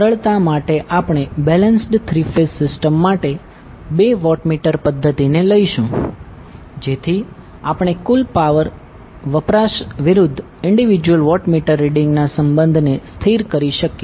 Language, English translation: Gujarati, For simplicity we will take the two watt meter method for a balanced three phase system so that we can stabilize the relationship of the total power consumption versus the individual watt meter reading